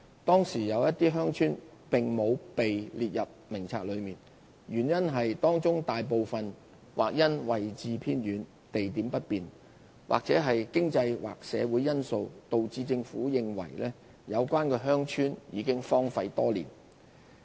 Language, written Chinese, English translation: Cantonese, 當時有些鄉村並無列入名冊內，原因是當中大部分或因位置偏遠、地點不便或經濟/社會因素導致政府認為有關鄉村已荒廢多年。, Some villages were not included in the List of Recognized Villages probably due to remoteness inconvenient location or economicsocial factors leading to the Governments belief that most of such villages had been deserted for years